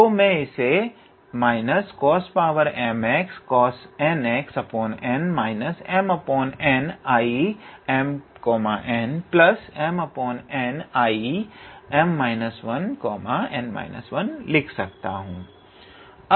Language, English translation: Hindi, So, we do not write n here